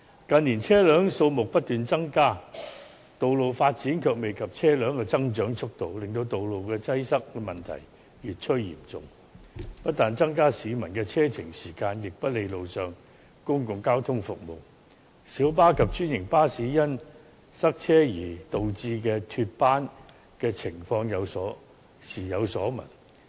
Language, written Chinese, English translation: Cantonese, 近年車輛數目不斷增加，但道路發展卻未及車輛的增長速度，令道路擠塞問題越趨嚴重，不但增加了市民的車程時間，亦不利路上的公共交通服務，小巴及專營巴士因塞車而導致脫班的情況時有所聞。, In recent years while the number of vehicles has been rising incessantly the development of roads is unable to catch up with the speed of vehicle growth resulting in the increasingly acute problem of traffic congestion . This has not only increased the journey time of the public but also brought about a detrimental effect on public transport services . Cases of lost trips of minibuses and franchised buses due to traffic congestion are frequent